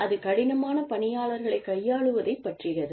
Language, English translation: Tamil, And, that is, handling difficult employees